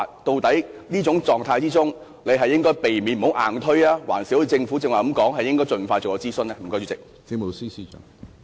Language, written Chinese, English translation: Cantonese, 在這情況下，究竟應該避免硬推方案，還是一如政府剛才所說，應該盡快進行諮詢？, Under such circumstances should we avoid pushing through the proposal or should we as mentioned by the Government conduct a consultation as soon as possible?